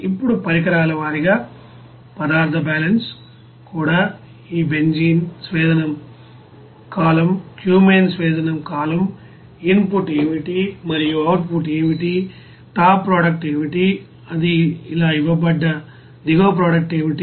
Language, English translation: Telugu, Now equipment wise material balance also for this you know benzene distillation column, even cumene distillation column, what will be the input and what will be the output, what is the top product, what is the bottom product it is given like this